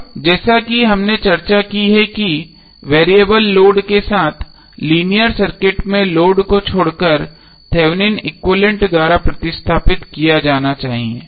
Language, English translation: Hindi, Now as we have discussed that linear circuit with variable load can be replaced by Thevenin equivalent excluding the load